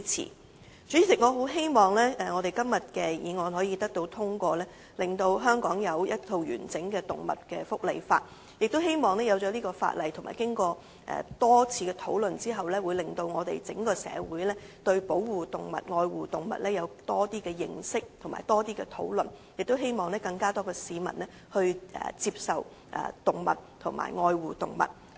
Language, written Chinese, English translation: Cantonese, 代理主席，我很希望今天這項議案可以獲得通過，令香港有一套完整的動物福利法例，亦希望在制定有關的法例和經過多次討論後，會令整個社會對保護和愛護動物有更多的認識和討論，亦希望有更多市民接受和愛護動物。, Deputy President I eagerly hope that todays motion can be passed so that Hong Kong will have comprehensive legislation on animal welfare . I also hope that the enactment of the relevant legislation and the numerous discussions will enhance peoples knowledge of the protection and care of animals and encourage further discussions thereby fostering greater acceptance of animals in the community and greater protection of animals